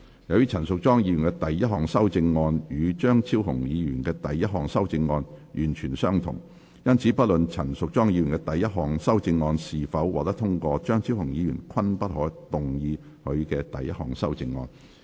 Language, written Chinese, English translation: Cantonese, 由於陳淑莊議員的第一項修正案與張超雄議員的第一項修正案完全相同，因此不論陳淑莊議員第一項修正案是否獲得通過，張超雄議員均不可動議他的第一項修正案。, As Ms Tanya CHANs first amendment is the same as Dr Fernando CHEUNGs first amendment Dr Fernando CHEUNG may not move his first amendment irrespective of whether Ms Tanya CHANs first amendment is passed or not